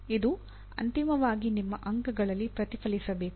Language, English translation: Kannada, It should get reflected finally into your grade